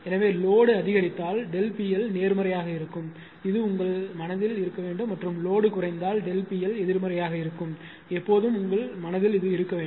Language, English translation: Tamil, So, if load increases delta P L is positive this should be in your mind and if load decreases delta P L is negative, right